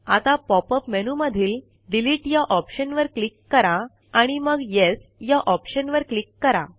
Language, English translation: Marathi, Now click on the Delete option in the pop up menu and then click on the Yes option